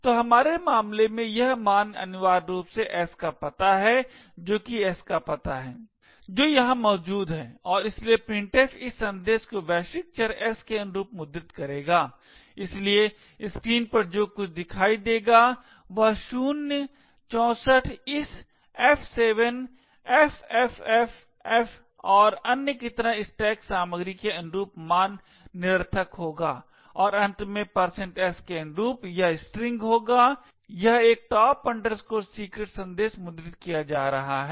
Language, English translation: Hindi, So in our case this value is essentially is the address of s that is the address of s which is present here and therefore printf will print this message corresponding to the global variable s, so what is seen on the screen would be certain junk values corresponding to the contents of the stack like the zeroes, 64 this f7 ffff and so on and finally corresponding to the %s will be the string this is a top secret message being printed